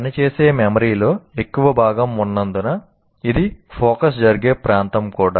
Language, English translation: Telugu, It is also the area where focus occurs because most of the working memory is located here